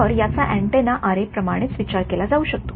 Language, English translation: Marathi, So, this can be thought of as a like an an antenna array